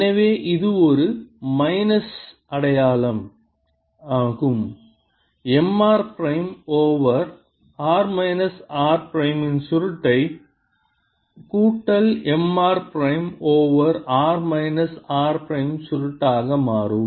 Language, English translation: Tamil, put one over r minus r prime with respect to prime cross m r prime is equal to curl of one over r minus r prime